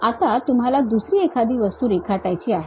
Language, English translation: Marathi, Now, you would like to draw some other object